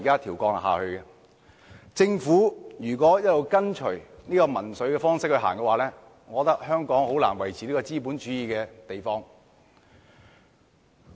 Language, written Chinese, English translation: Cantonese, 如果政府一直以民粹的方式行事，香港將難以維持資本主義。, If the Government continues to toe the populist line it would be difficult for capitalism to be maintained in Hong Kong